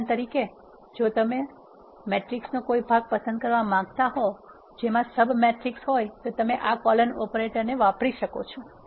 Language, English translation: Gujarati, For example if you want to select a part of matrix which has sub matrix you can use this colon operator ok